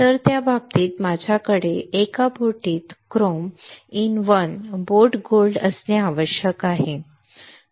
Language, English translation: Marathi, So, in that case I had to have chrome in one boat gold in one boat